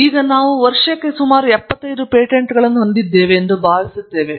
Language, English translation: Kannada, I think we have total of some 75 patents per year now